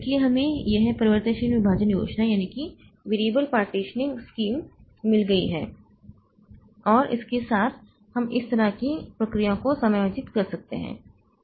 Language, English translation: Hindi, So, we have got this variable partitioning scheme and with that we can accommodate the processes like this